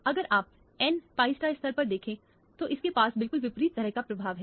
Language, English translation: Hindi, If you look at the n pi star level; it has exactly the opposite kind of an effect